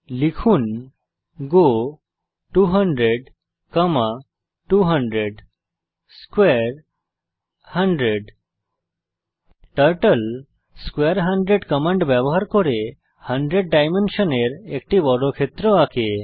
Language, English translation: Bengali, Lets type go 200,200 square 100 Using the command square 100 Turtle draws a square of dimension 100